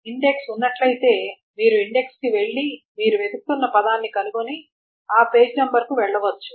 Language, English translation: Telugu, If the index is there, you essentially just go to the index, find the word that you are looking for, and just simply go to the page number